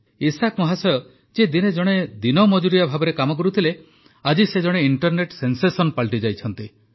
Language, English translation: Odia, Isaak ji once used to work as a daily wager but now he has become an internet sensation